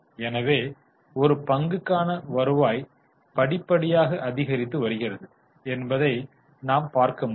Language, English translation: Tamil, So, you can see earning per share has been increasing gradually because company's total profit is going up